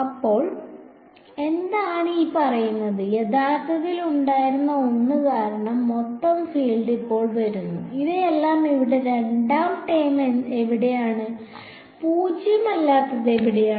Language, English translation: Malayalam, So what is this saying, the total field is now coming due to something that was originally there and where do all of these the second term over here; where is it non 0